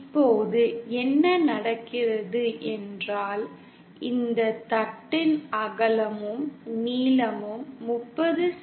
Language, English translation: Tamil, Now what happens is suppose this is let is say the width and length of this plate is 30 cm by 30 cm